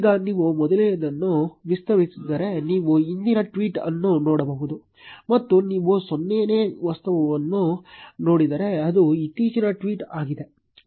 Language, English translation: Kannada, Now if you expand the first one, you can see the previous tweet; and if you see the 0th object that is the latest tweet